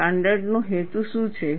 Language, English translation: Gujarati, What is the purpose of a standard